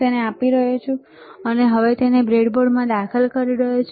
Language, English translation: Gujarati, he is inserting it into the breadboard